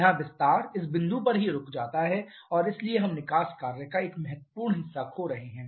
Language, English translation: Hindi, Here expansion stops at this point itself and so we are losing a significant fraction of the exhaust work